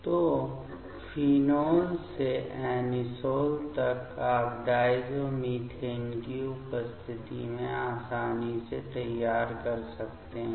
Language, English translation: Hindi, So, from phenol to anisole you can easily prepare in presence of diazomethane